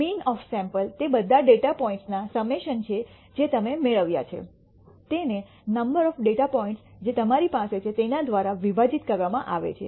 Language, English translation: Gujarati, The mean of a sample is defined as the summation of all the data points that you obtain divided by the number of datapoints that you have